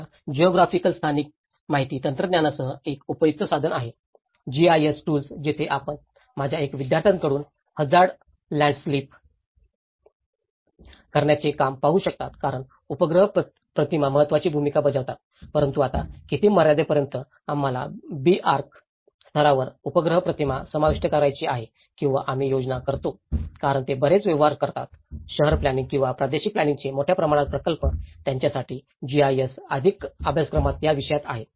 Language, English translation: Marathi, Now, the one of the useful tools which have come up with the geographic spatial information technology; the GIS tools where you can see from one of my students work of the hazard landslip because the satellite imagery plays an important role but now to what extent, we have to include that satellite imagery at B Arch level or we plan because they deal with much more of a larger scale projects of city planning or the regional planning, for them GIS is already within the subject, in the curriculum